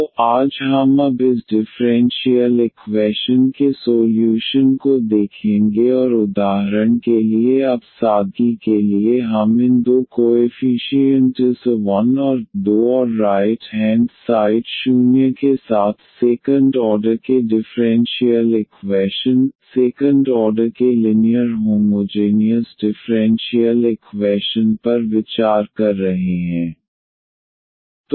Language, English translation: Hindi, So, today we will now get to the solution of this differential equation and for example now for simplicity we are considering the second order differential equation, second order linear homogeneous differential equation with these two coefficients a 1 and a 2 and the right hand side is 0